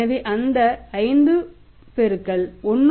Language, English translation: Tamil, So, we are multiplied by the 80%